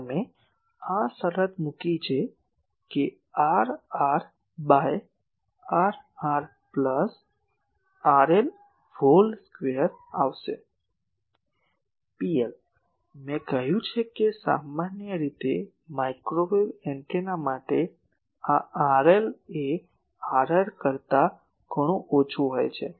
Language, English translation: Gujarati, You put this condition this will come R r by R r plus R L whole square, P L as I said that usually for microwave antennas this R L is much less than R r